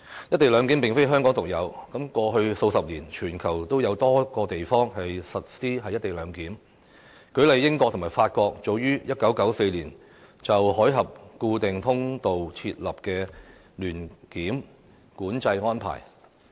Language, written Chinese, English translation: Cantonese, "一地兩檢"安排並非香港獨有，過去數十年，全球已有多個地方實施"一地兩檢"，例如英國與法國早於1994年就海峽固定通道設立聯檢管制安排。, The co - location arrangement in Hong Kong is not unique . Co - location arrangements have been implemented in many places in the world in the past few decades . For example the United Kingdom and France agreed to implement a co - location arrangement for the Channel Fixed Link in 1994